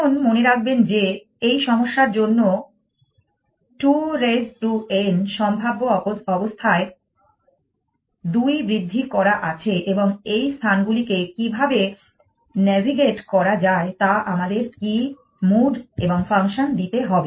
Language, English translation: Bengali, Now, remember that for this problem there are 2 raise to n possible states essentially and what move and function should give us is how to navigate this spaces